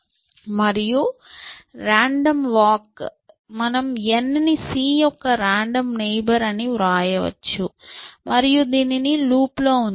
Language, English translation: Telugu, And random walk, we can simply write as saying generate n is a random neighbor of c and put this in a loop